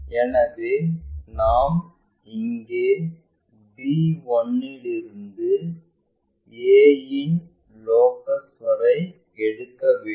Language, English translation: Tamil, So, we have to pick from b 1 here up to locus of a